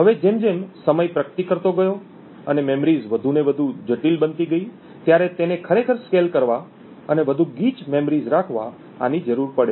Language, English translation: Gujarati, Now as time progressed and memories became more and more complex it was required to actually scale down and have more dense memories